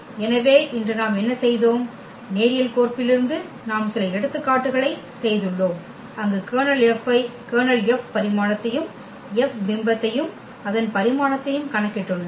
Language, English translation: Tamil, So, here what we have done today, with this from the linear map we have done some examples where we have computed the Kernel F also the dimension of the Kernel F as well as the image F and its dimension